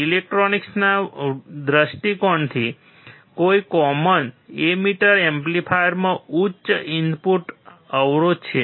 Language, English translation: Gujarati, From electronics point of view, a common emitter amplifier has a high input impedance